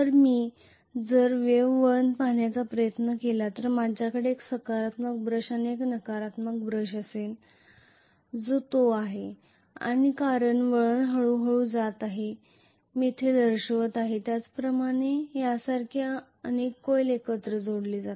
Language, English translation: Marathi, Whereas if I try to look at the wave winding I am going to have one positive brush and one negative brush that is it and because the winding is going progressively like what I showed here I am going to have many coils connected together like this